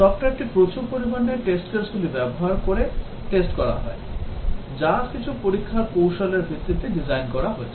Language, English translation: Bengali, Software is tested using a large number of test cases, which are designed based on some tests strategy